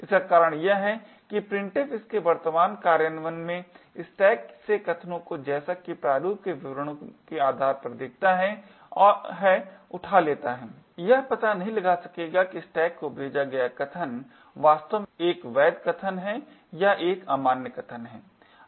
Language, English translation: Hindi, The reason being is that printf in its current implementation just picks out arguments from the stack depending on what it sees in the format specifiers it cannot detect whether the arguments passed on the stack is indeed a valid argument or an invalid argument